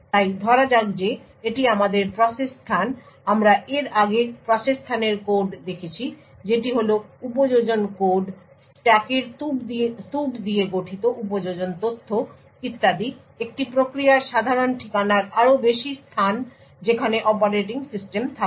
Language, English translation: Bengali, So let us say that this is our process space so as we have seen before the process space has the code that is the application code application data comprising of stacks heaps and so on and higher in the typical address space of a process is where the operating system resides